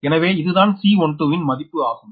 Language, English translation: Tamil, so this is the c one, two value